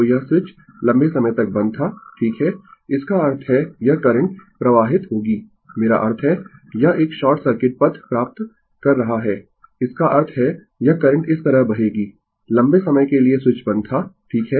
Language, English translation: Hindi, So, this switch was closed for a long time right; that means, this this current will flow I mean it is getting a what you call a short circuit path; that means, this current will flow like this, for a long time the switch was closed right